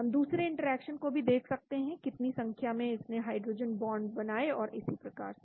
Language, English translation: Hindi, we can also look at other interactions how many hydrogen bonds it has formed and so on